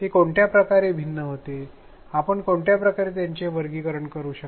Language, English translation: Marathi, In what ways were they different can you categorize them in any way